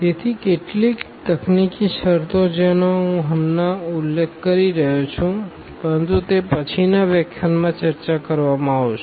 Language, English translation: Gujarati, So, some technical terms I am just mentioning here, but they will be discussed in the next lecture